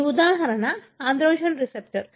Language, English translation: Telugu, This example is of androgen receptor